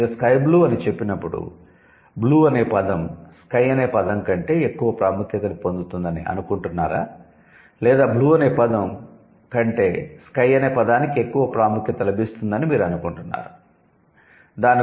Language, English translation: Telugu, So, when you say sky blue, so do you think blue is getting more importance than sky or sky is getting more importance than blue